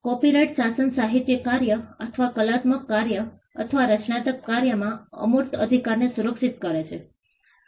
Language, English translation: Gujarati, The copyright regime protects the intangible right in the literary work or artistic work or creative work